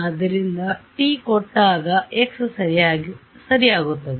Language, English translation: Kannada, So, at the start at t is equal to 0